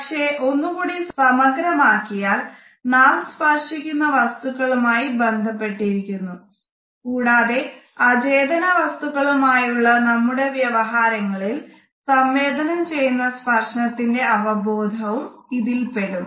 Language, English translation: Malayalam, But by extension it is also associated with the objects whom we touch and the sense of touch which is communicated in our association with inanimate objects